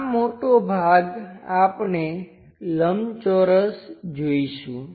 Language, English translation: Gujarati, This much portion we will see as rectangle